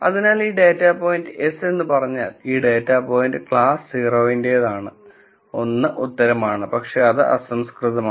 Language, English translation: Malayalam, So, simply saying yes this data point and, this data point belongs to class 0 is 1 answer, but that is pretty crude